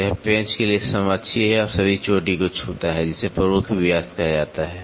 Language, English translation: Hindi, So, this is the coaxial to the screw and touches all the crest is called as major diameter